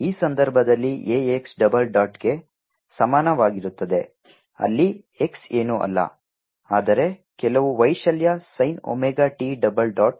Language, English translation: Kannada, in this case a is equal to x dole dot, x is nothing but some amplitude, sin omega t, double dot